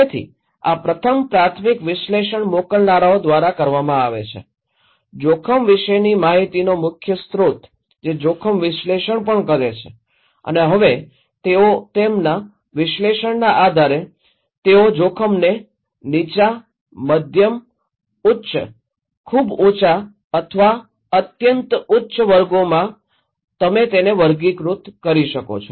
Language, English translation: Gujarati, So, these first primary analysis is done by the senders, the primary source of informations about risk, they do the risk analysis path, and now they based on their analysis they can categorize the risk low, medium, high, very high or extreme high and so you can